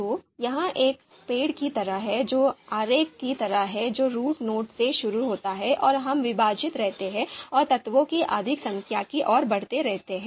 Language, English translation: Hindi, So, it is like a tree like diagram and starts from the root node and we keep on dividing and keep on moving towards more number of elements